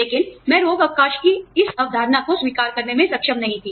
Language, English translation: Hindi, But, was not able to was, this concept of sick leave